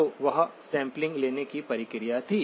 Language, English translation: Hindi, So that was the sampling process